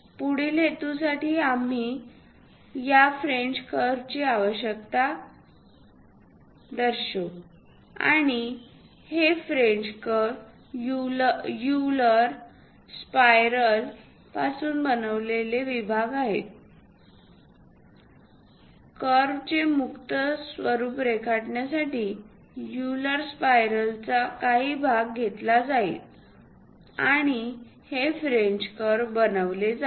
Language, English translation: Marathi, Further purpose we require this French curves and this French curves are segments made from Euler spirals; part of the Euler spiral will be taken, and this French curve will be made and meant for drawing free form of curves